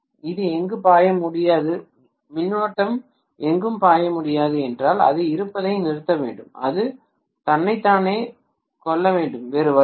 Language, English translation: Tamil, It cannot flow anywhere, if the current cannot flow anywhere it has to cease to exist, it has to kill itself there is no other way